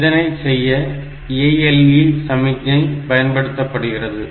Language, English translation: Tamil, So, this is done by means of the ALE signal